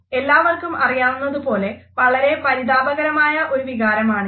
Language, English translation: Malayalam, And as all of us understand it is one of the most distressing emotions